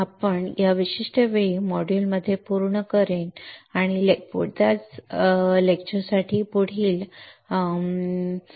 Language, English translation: Marathi, So, I will complete the module at this particular time and in the next module for the same lecture what we will see